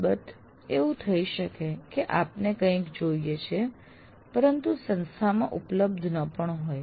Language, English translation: Gujarati, Of course, you may want something but it may or may not be available by the institute